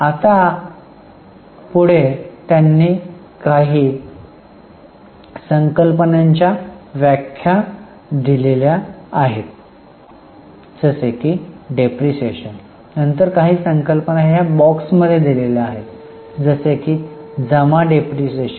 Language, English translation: Marathi, Now next they have given definitions of some of the terms like depreciation, then the terms in the box have also been defined like accumulated depreciation